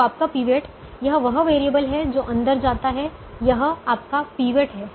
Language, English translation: Hindi, so your pivot is: this is the variable that is coming